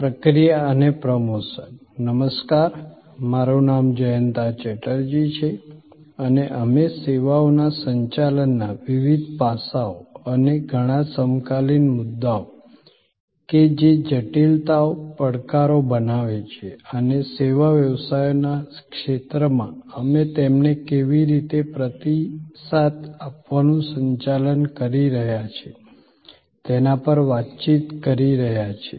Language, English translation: Gujarati, Hello, I am Jayanta Chatterjee and we are interacting on the various aspects of Managing Services and the many contemporary issues that now creates complexities, challenges and how we are managing to respond to them in the domain of the service businesses